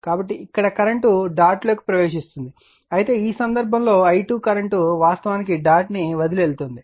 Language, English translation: Telugu, So, here current is entering dot, but in this case the i 2 current is current actually leaving the dot right